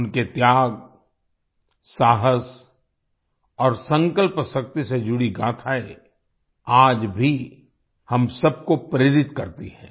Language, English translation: Hindi, The stories related to his sacrifice, courage and resolve inspire us all even today